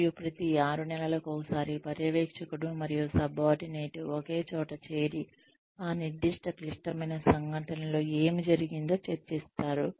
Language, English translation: Telugu, And, every six months or so, the supervisor and subordinate, get together and then discuss, what happened in that specific critical incident